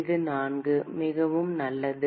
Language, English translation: Tamil, It is 4, very good